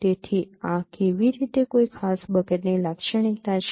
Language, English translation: Gujarati, So this is how a particular bucket is characterized